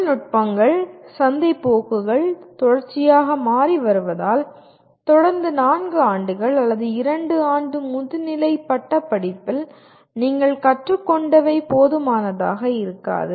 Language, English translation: Tamil, And with technologies continuously changing and market trends continuously changing what you learn during the 4 years or 2 years of post graduation is not going to be adequate